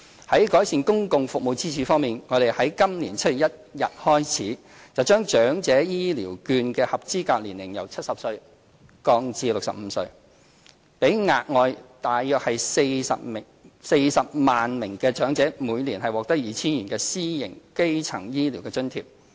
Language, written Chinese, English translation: Cantonese, 在改善公共服務的支柱方面，我們已在今年7月1日起，把長者醫療券的合資格年齡由70歲降至65歲，讓額外約40萬名長者每年獲得 2,000 元的私營基層醫療津貼。, In terms of improving the public services pillar since 1 July of this year we have lowered the eligibility age for the Elderly Health Care Voucher from 70 to 65 allowing about 400 000 more elderly persons to receive 2,000 a year to purchase private primary care services